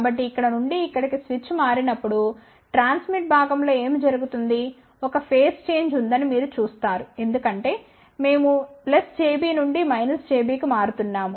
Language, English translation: Telugu, So, when the switch changes from here to here, then what happens at the transmit part you will see that there will be a phase change because, we are changing from plus j B to minus j B